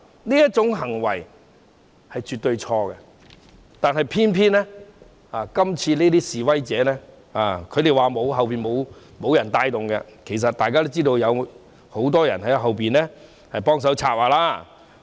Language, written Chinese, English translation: Cantonese, 這種行為絕對是錯的，但偏偏今次的示威者說背後沒有人部署，其實大家都知道，有很多人在背後協助策劃。, This behaviour is absolutely wrong . Protesters claimed that nobody deployed them behind the scene but as everyone knows many people have assisted in the planning